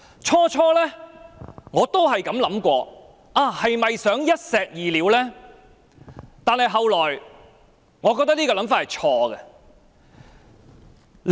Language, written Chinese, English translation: Cantonese, 最初我也曾想，政府是否想一石二鳥？但後來，我認為這想法是錯誤的。, At first I pondered whether the Government was trying to kill two birds with one stone but later I concluded that this proposition was wrong